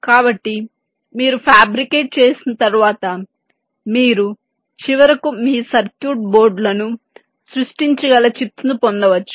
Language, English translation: Telugu, so once your fabricated, you can finally get your chips using which you can create your circuit boards